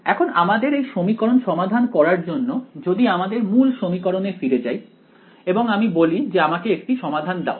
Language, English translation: Bengali, In order for us to solve this equation if I just go back to the original equation over here and I say give me a solution to this right